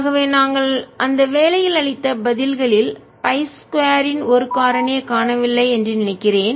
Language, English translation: Tamil, i must add here that i think the answers that we have given in the assignment are missing a factor of pi square or something